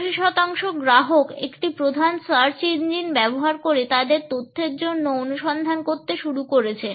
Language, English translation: Bengali, 84 percent of the customers used one of the major search engines to begin their exploration for information